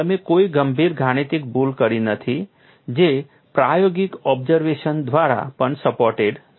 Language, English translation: Gujarati, You are not done any serious mathematical error which is also supported by experimental observation